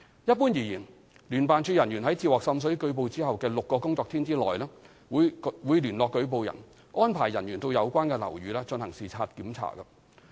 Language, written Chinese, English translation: Cantonese, 一般而言，聯辦處人員在接獲滲水舉報後的6個工作天內，會聯絡舉報人，安排人員到有關樓宇進行視察檢查。, In general JO staff will contact the informant within six working days upon receipt of a water seepage report to arrange for inspection in the building concerned